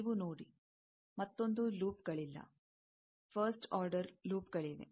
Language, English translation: Kannada, You see, no another loops are there, first order loops are there